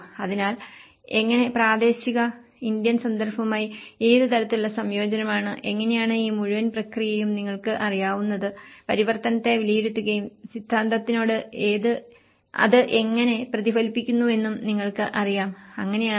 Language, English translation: Malayalam, So, how, what level of integration with the local Indian context and that is how this whole process is looked at you know, assessing the transformation and looking back into the theories reflecting how it is reflected with the theory and you know, that is how it has been formulated